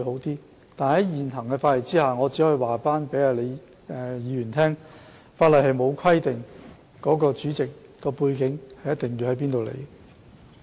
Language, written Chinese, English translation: Cantonese, 然而，在現行的法例之下，我只可以告訴李議員，法例並沒有規定主席的背景為何。, However under the existing legislation I can only tell Prof LEE that there is no provision on the background of the board chairmen